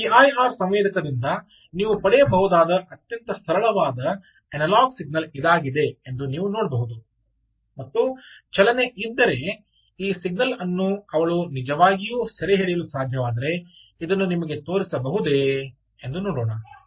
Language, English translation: Kannada, you can see, it's a very simple, very, very simple analogue signal that you can get from this p i r sensor and let us see if she can actually ah show you in real time, if she can actually capture this signal if there is motion